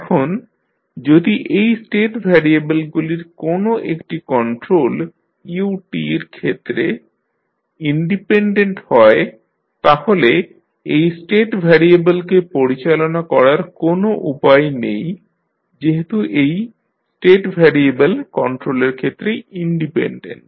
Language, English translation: Bengali, Now, if any one of this state variables is independent of the control that is u t there would be no way of driving this particular state variable because the State variable is independent of control